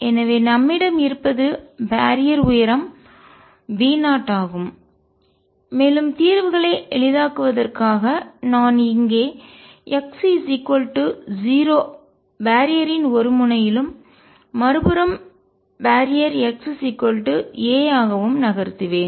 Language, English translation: Tamil, So, what we have is this barrier of height V 0 and again to facilitate solutions I will shift back to one end of the barrier being at x equals 0, and the other hand being at x equals a